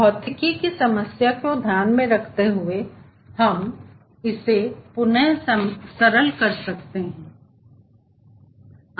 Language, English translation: Hindi, considering the physics of the problem, we can ah, simplify this equation slightly